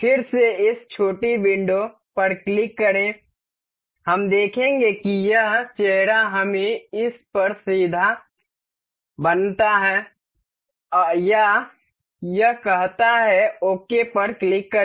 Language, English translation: Hindi, Again click on this small window, we will see this face let us make it perpendicular to this one or say this one, click on ok